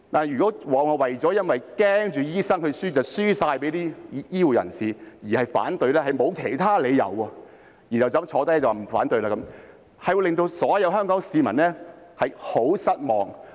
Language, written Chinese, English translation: Cantonese, 如果只是由於擔心醫生會敗給其他醫護人員而反對，但又沒有其他理由，然後便說反對，這樣會令所有香港市民很失望。, If he opposed it only because of his concern about doctors being defeated by other healthcare workers and if he raised opposition without putting forth any other reason this will be utterly disappointing to all the people of Hong Kong